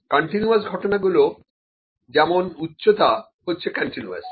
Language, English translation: Bengali, Continuous events, for instance, the heights, ok, the heights are continuous